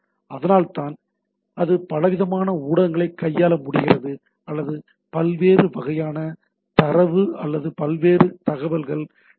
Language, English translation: Tamil, So it that is why it is able to handle a variety of say media or the variety of data or the variety of information across the across the www